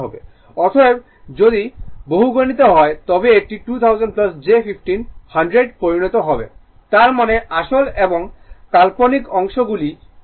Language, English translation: Bengali, Therefore, if you multiply it will become 2 thousand plus j 15 100 right so; that means, separate real and imaginary part